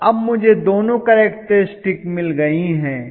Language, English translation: Hindi, So I have got both the characteristics